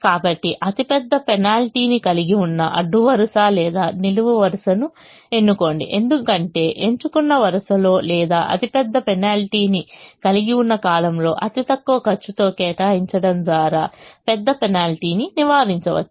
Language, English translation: Telugu, so choose the row or column that has the largest penalty, because that large penalty we want to avoid by being able to allocate in the least cost position in the chosen row or column that has the largest penalty